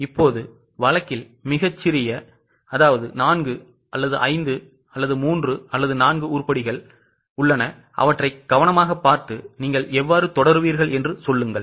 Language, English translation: Tamil, Now have a look at the case very small just four five, three four items, look at them carefully and tell me how will you proceed